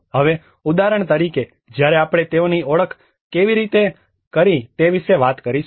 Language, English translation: Gujarati, Now, for example when we talk about how they have identified